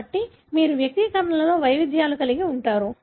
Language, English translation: Telugu, So you would have variations in the manifestations